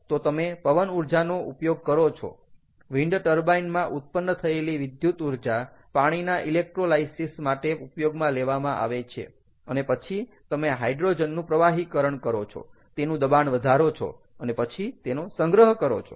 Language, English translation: Gujarati, all right, so you have to get hydrogen from wind power via electrolysis, so you use wind power, the electricity generated in wind turbines that is used for electrolysis of water, and then you liquefy the hydrogen, pressurizing it and then store it and that you then you can use it as a fuel